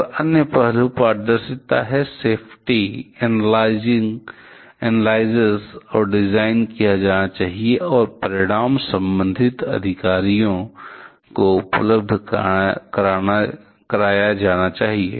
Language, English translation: Hindi, And other aspect is transparency, safety analysis and design must be done, and the result should be made available to the concerned authorities